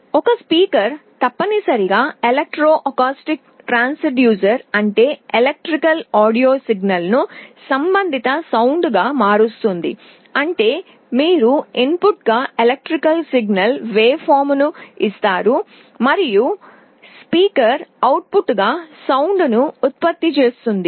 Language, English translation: Telugu, A speaker essentially an electro acoustic transducer, which means is converts an electrical audio signal into a corresponding sound; that means, you give an electrical signal waveform as the input and the speaker will generate a sound as the output